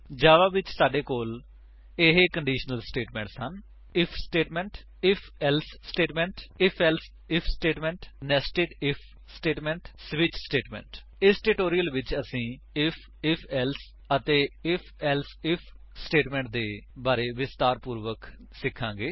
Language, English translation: Punjabi, In Java, we have the following conditional statements: * If statement * If...Else statement * If...Else if statement * Nested If statement * Switch statement In this tutorial, we will learn about If, If...Else and If...Else If statements in detail